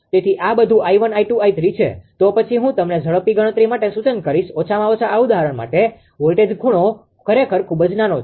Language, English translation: Gujarati, So, this is all I 1, I 2, I 3; then I will I will I will suggest you for faster calculations; at least for this example, the voltage angle actually very small